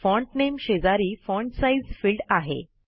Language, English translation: Marathi, Beside the Font Name field , we have the Font Size field